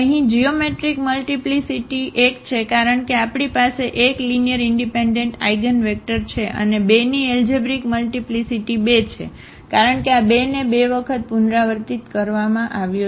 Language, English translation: Gujarati, So, here the geometric multiplicity is 1, because we have 1 linearly independent eigenvector and the algebraic multiplicity of 2 is 2 because this 2 was repeated 2 times